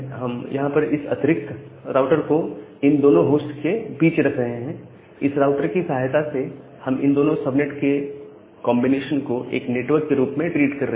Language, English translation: Hindi, So, what we are doing here, we are putting this additional router here in between that router is helping me to treat this entire subnet as a this combination of these two subnet as a entire network